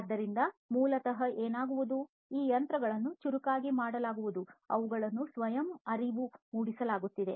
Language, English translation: Kannada, So, basically what will happen is these machines will be made smarter, they would be made self aware